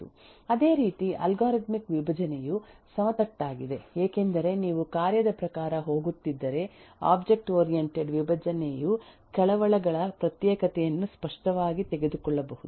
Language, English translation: Kannada, Similarly eh algorithmic decomposition eh is flat because you are going task wise whereas object oriented decomposition can clearly take the separation of concerns